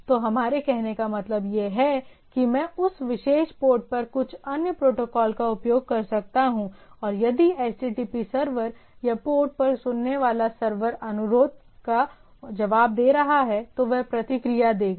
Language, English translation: Hindi, So, what we mean to say that underlying, I can use some other protocol at that particular port and if the HTTP server or the server which is listening at the port is responding to the request, it will respond right